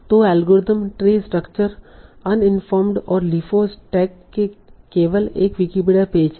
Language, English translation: Hindi, So, algorithm, t structure, uninform search and deferred stack have only one Wikipedia page